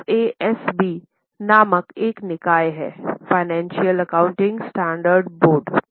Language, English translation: Hindi, In US there is a body called as FASB, Financial Accounting Standard Board